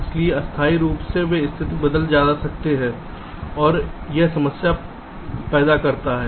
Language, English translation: Hindi, so temporarily they might, the status might change and that creates the problem, right